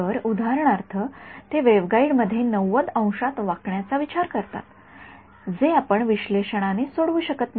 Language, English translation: Marathi, So, for example, they consider a 90 degree bend in the waveguide which you would not be solve analytically right